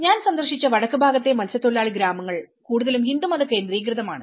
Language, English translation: Malayalam, In the northern side of the fishing villages which I have visited they are mostly Hindu oriented